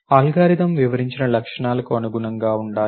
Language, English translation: Telugu, The algorithm should accommodate the features described